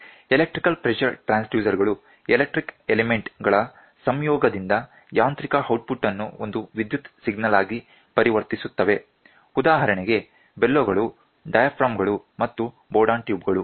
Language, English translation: Kannada, The electric pressure transducer translates the mechanical output into an electrical signal in conjunction with the elastic elements such as bellows, diaphragms, and Bourdon